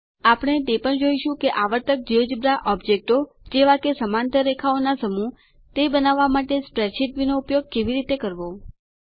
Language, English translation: Gujarati, We will also see how the spreadsheet view can be used to create recurring Geogebra objects like creating a set of parallel lines